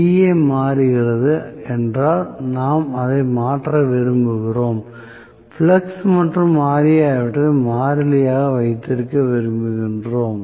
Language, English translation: Tamil, If Va is changing then we want to change, we want to keep flux and Ra as constants, right